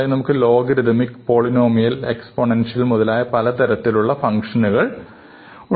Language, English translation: Malayalam, So, we have logarithmic polynomial and exponential functions